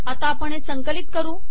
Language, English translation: Marathi, Now let me compile this